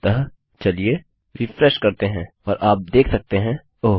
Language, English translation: Hindi, So, lets refresh and you can see oh.